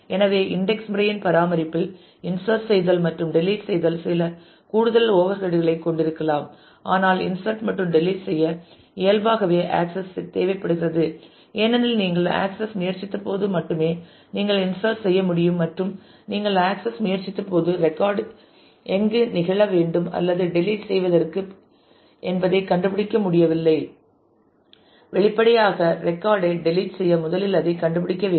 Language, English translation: Tamil, So, in that maintenance of indexing whereas, insertion and deletion might have some additional overhead, but since insertion and deletion both inherently needs access to be done because you can insert only when you have tried to access and have not found exactly where the record should occur or for deletion; obviously, you need to first find the record to be able to delete it